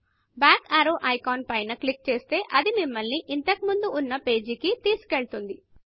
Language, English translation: Telugu, Clicking on the back arrow icon will take you back to the page where you were before